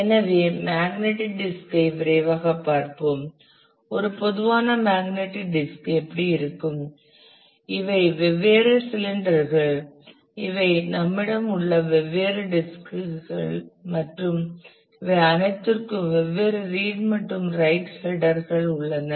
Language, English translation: Tamil, So, let us quickly take a look into the magnetic disk this is how a typical magnetic disk looks like; these are the different cylinders these are the different disks that we have and these are all different read write head